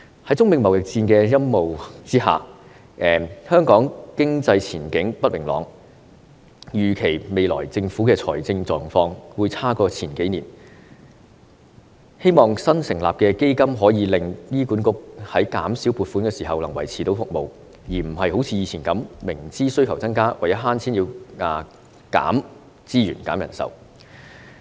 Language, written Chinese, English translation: Cantonese, 在中美貿易戰的陰霾之下，香港經濟前景不明朗，預期未來政府的財政狀況會較數年前差，希望新成立的基金可以令醫管局在減少撥款時能夠維持服務，而不是好像以前，明知需求增加，但為了省錢而要削減資源及人手。, Under the shadow of the trade war between China and the United States the economic outlook of Hong Kong is filled with uncertainties and the financial situation of the Government in the future is expected to be worse than the previous few years . It is hoped that the newly established fund can render the services sustainable while funding is reduced for HA which will no longer need to resort to the previous means of saving money by slashing resources and manpower despite a conspicuous hike in demand